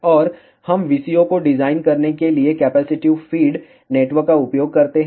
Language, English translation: Hindi, And we use capacitive feed network to design the VCO